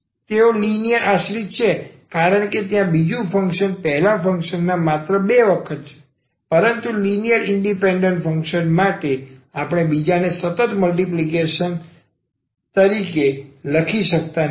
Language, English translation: Gujarati, So, they are linearly dependent because there the second function is just the 2 times of the first function so, but for linearly independent functions we cannot write as a constant multiple of the other